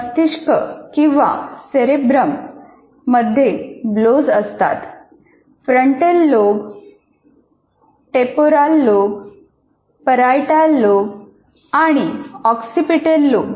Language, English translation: Marathi, We call it frontal lobe, temporal lobe, occipital lobe, and parietal lobe